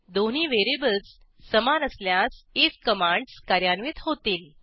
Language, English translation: Marathi, If the two variables are equal, then commands in if are executed